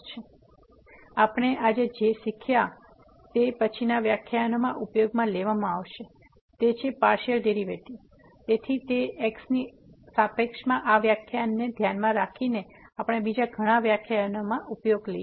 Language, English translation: Gujarati, So, what we have learnt today which will be used in following lectures is the Partial Derivatives; so, it with respect to this definition we are going to use in many other lectures